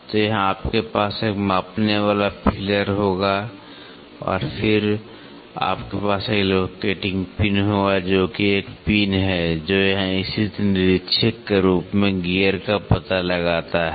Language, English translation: Hindi, So, here you will have a measuring feeler and then here you will have a locating pin which is a pin, which locates the gear being inspector it locates here